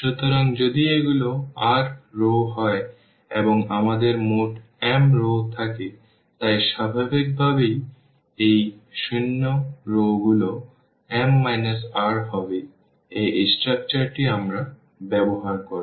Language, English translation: Bengali, So, if these are the r rows and we have total m rows, so, naturally these zero rows will be m minus r this is the structure which we will be using